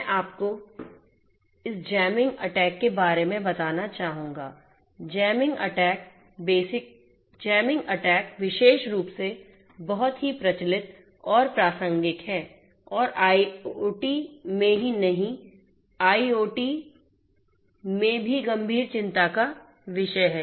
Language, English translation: Hindi, I would like to mention to you about this jamming attack; jamming attack is particularly very prevalent and relevant and is of serious concern in IIoT not just IIoT even in IoT also